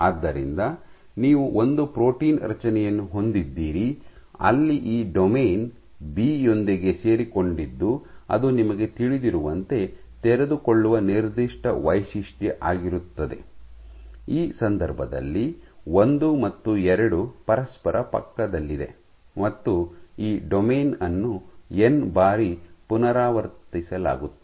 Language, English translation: Kannada, So, you had one protein construct, where this domain was coupled with this B which is was unfolding signature you know, versus this case in which one and two are next to each other and this domain is repeated n times